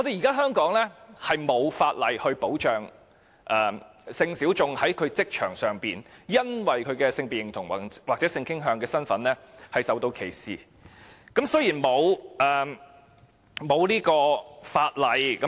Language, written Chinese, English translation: Cantonese, 香港現時並無法例保障性小眾在職場上由於其性別認同或性傾向而受歧視的情況。, At present there is no legislation to protect sexual minorities from discrimination on grounds of sexual identities or sexual orientations at the workplace in Hong Kong